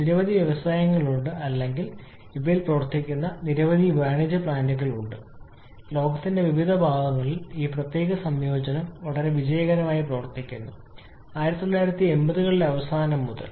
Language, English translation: Malayalam, There are several Industries or I should say several commercial plants, which are operating on this particular combination in different parts of the world and operating very successfully since late 1980’s